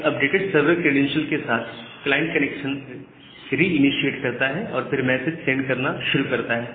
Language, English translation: Hindi, Now, with this updated server credential, the client can reinitiate the connection and start sending the request